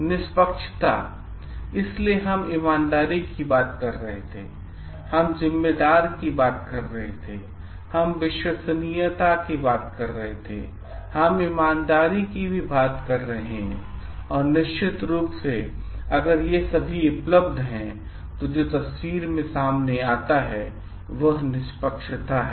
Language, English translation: Hindi, Fairness, so we were talking of honesty, we were talking of responsibility, we were talking of reliability, we are talking also of integrity and definitely if all these things are there, what comes to picture is fairness